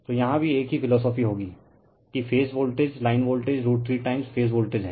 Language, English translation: Hindi, So, in here also same philosophy will be there that, your phase voltage line voltage is root 3 times phase voltage